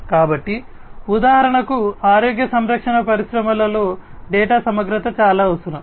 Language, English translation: Telugu, So, for example, in the healthcare industry data integrity is highly essential